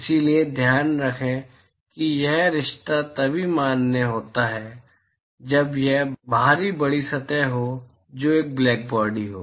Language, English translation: Hindi, So, keep in mind that this relationship is valid only when there is this outer large surface, which is a blackbody